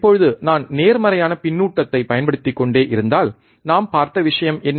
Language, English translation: Tamil, Now, if I keep on going applying positive feedback, what was the thing that we have seen